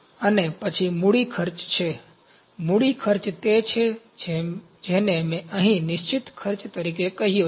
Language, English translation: Gujarati, And next is capital costs capital cost is what I called here as fixed cost, this is capital